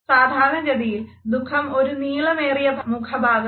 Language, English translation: Malayalam, Usually sadness is a longer facial expression